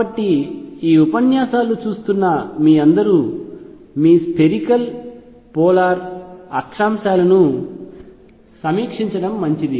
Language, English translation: Telugu, So, it will be a good idea for all of you who are going through these lectures to review your spherical polar coordinates